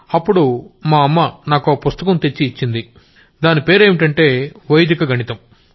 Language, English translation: Telugu, So, my mother brought me a book called Vedic Mathematics